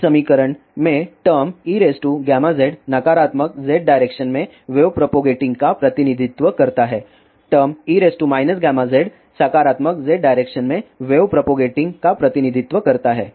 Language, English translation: Hindi, In this equation the term E raise to gamma Z represents the wave propagating in negative Z direction and the term E raise to minus gamma Z represents the wave propagating in positive Z direction